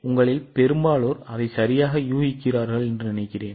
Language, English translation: Tamil, I think most of you are guessing it correct